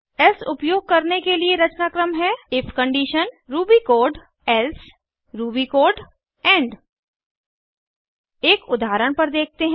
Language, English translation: Hindi, The syntax for using else is: if condition ruby code else ruby code end Let us look at an example